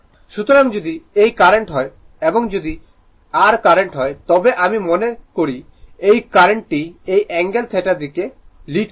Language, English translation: Bengali, So, therefore if this current is if your current is I if this if the current is I suppose this current is leading this angle is theta right